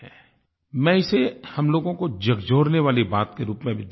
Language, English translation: Hindi, I view it also as something that is going to shake us all